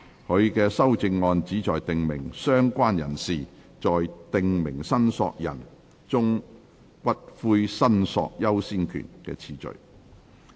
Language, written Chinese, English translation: Cantonese, 他的修正案旨在訂明"相關人士"在"訂明申索人"中骨灰申索優先權的次序。, His amendment seeks to provide for the order of priority of the related person among prescribed claimants for claiming ashes